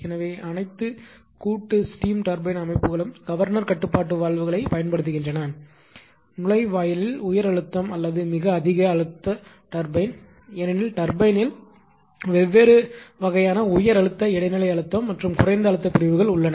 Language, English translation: Tamil, So, all compound steam turbine systems actually utilized governor control valves, at the inlet right to the high pressure or very high pressure turbine, because turbine have different type of high pressure intermediate pressure and low low pressure ah sections right